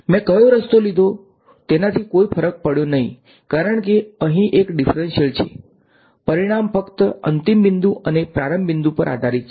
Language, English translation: Gujarati, It did not matter which path I took because this is a complete differential over here, the result depends only on the final point and the initial point